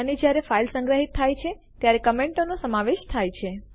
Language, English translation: Gujarati, And when the file is saved, the comments are incorporated